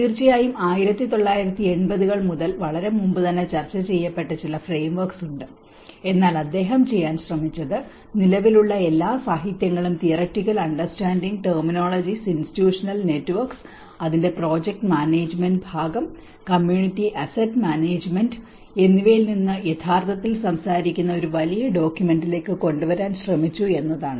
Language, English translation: Malayalam, Of course, there are been some frameworks which has been discussed much earlier from 1980s but what he tried to do is he tried to bring all of the current literature into 1 big document which actually talks from the theoretical understanding, the terminologies, the institutional networks, and the project management part of it, and the community asset management